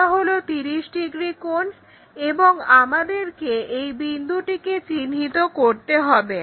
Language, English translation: Bengali, This is the 30 degrees angle and we have to locate this point